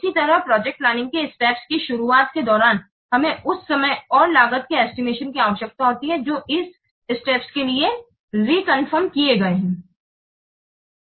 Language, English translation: Hindi, Similarly, during the start of the project stages, what we require, time and cost estimates are reconfirmed for the stage that is required